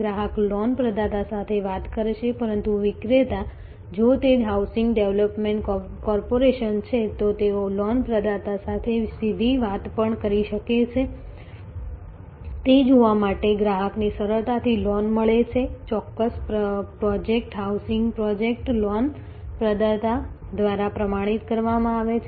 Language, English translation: Gujarati, The customer will talk to the loan provider, but the seller if it is a housing development corporation, they may also talk directly to the loan provider to see that the customer gets the loan easily, the particular project, the housing project is certified by the loan provider